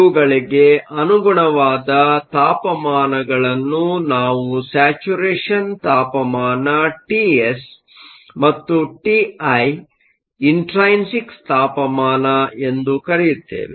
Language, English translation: Kannada, We also called the temperatures corresponding to these as T s which is your saturation temperature and T i which is your intrinsic temperature